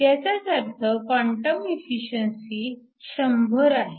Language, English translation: Marathi, If you take the quantum efficiency to be 0